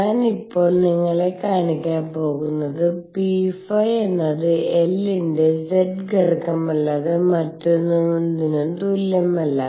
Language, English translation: Malayalam, I am now going to show you that p phi is equal to nothing but the z component of L